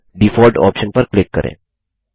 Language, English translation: Hindi, Next, click on the Default option